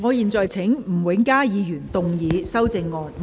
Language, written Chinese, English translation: Cantonese, 我現在請吳永嘉議員動議修正案。, I now call upon Mr Jimmy NG to move an amendment